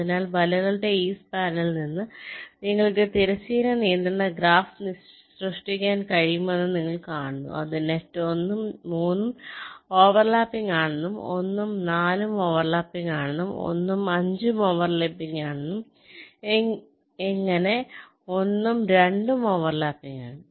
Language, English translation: Malayalam, so you see, from these span of the nets you can create the horizontal constraint graph which will tell net one and three are over lapping, one and four are over lapping, one and five are over lapping, and so on